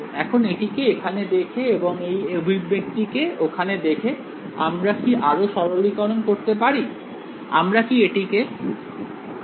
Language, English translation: Bengali, Now, having seen this guy over here and having seen this expression over here, can we further simplify this